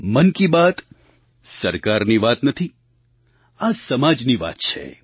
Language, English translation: Gujarati, Mann Ki Baat is not about the Government it is about the society